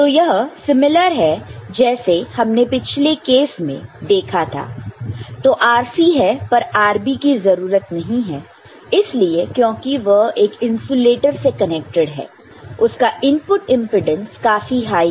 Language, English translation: Hindi, So, this is similar to what we had in earlier case RC, but RB is not required because it is it is connected to an insulator ok, its input impedance is very high right